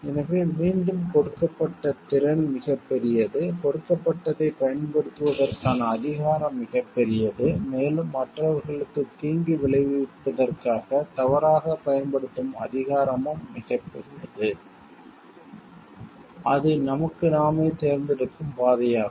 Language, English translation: Tamil, So, again capability given is huge like the power to use given is huge and also the power to misuse for providing harm to others is also given huge, it is the path that we choose for ourselves